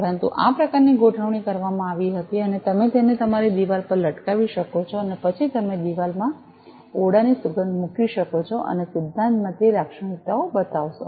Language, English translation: Gujarati, But this kind of arrangement was made, and you can hang it on your wall, and then you put a room fragrance in the wall and in principle it will do the characteristics